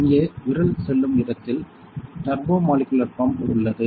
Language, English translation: Tamil, So, here where my finger goes that is where the turbomolecular pump is